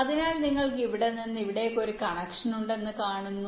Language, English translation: Malayalam, so you see, here you have one connection from here to here and there is a another connection from here to here